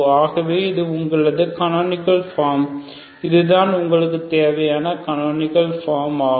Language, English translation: Tamil, So this is your canonical form so these is the required canonical form this is the required canonical form